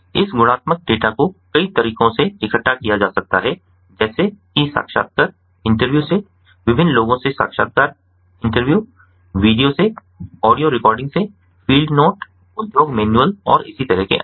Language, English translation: Hindi, this qualitative data can be gathered by many methods, such as from interviews, intervene different people, from videos, from audio recordings, field notes, you know industry manuals and so on